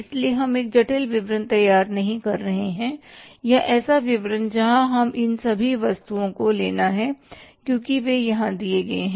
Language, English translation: Hindi, So, we are not preparing a complex statement or maybe the statement where we have to take into consideration all these items because they are given here